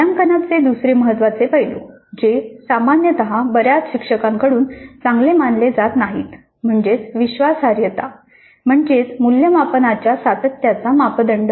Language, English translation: Marathi, The second important aspect of assessment which generally is not considered well by many faculty is reliability, degree to which the assessments course are consistent